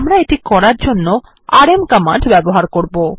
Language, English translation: Bengali, Let us try the rm command to do this